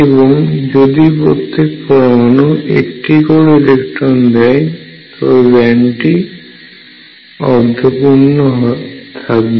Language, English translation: Bengali, On the other hand if an atom gives only one electron band will be half filled